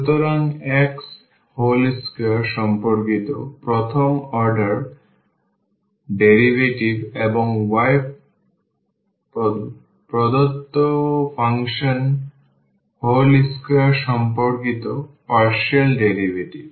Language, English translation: Bengali, So, the first partial derivative with respect to x whole square plus the partial derivative with respect to y of the given function whole square